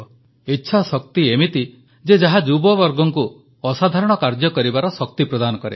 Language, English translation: Odia, It is this will power, which provides the strength to many young people to do extraordinary things